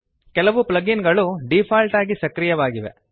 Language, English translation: Kannada, Some plug ins are activated by default